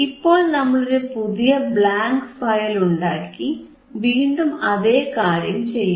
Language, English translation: Malayalam, So, we have we have created a new file a blank file and then here we will again do the same thing